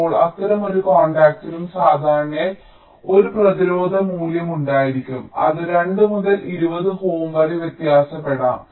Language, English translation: Malayalam, now each such contact typically will be having a resistance value which can vary from two to twenty ohm